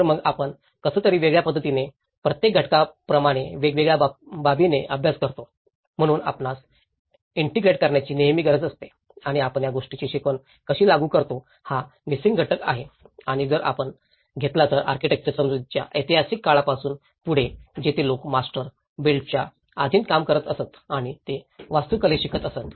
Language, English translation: Marathi, So, somehow we end up studying in most of an isolated manner like each component in a different aspect, so there is always a need to integrate and how we apply the learning of this to that so, this is the missing component and if you take ahead from the historical times of architectural understanding, where people used to work under the master builder and that is how they learned architecture